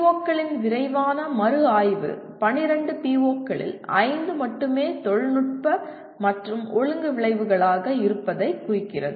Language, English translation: Tamil, And a quick review of the POs indicates only 5 of 12 POs are dominantly technical and disciplinary outcomes